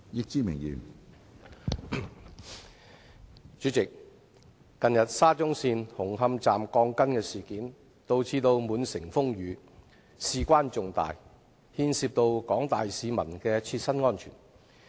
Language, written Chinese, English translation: Cantonese, 主席，近日沙中線紅磡站鋼筋事件導致滿城風雨，事關重大，牽涉廣大市民的切身安全。, President the recent incident concerning the steel bars at Hung Hom Station of the Shatin to Central Link has caused an uproar in town